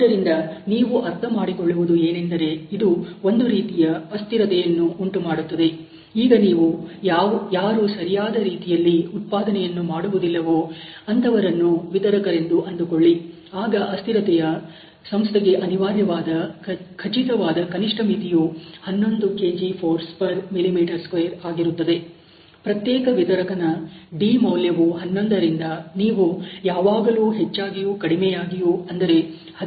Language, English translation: Kannada, So, you have to understand this is something that it can create a variable, it is supposing you have to vendor who was not very good in producing is certain minimum thresh holding of 11 required for the company, you could always lower the, you could always higher the you know d value for the particular vendor from 11 to let us say 13 or 14